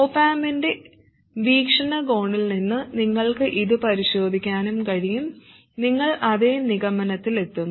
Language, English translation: Malayalam, You can also examine it from the viewpoint of the op amp and you will reach exactly the same conclusion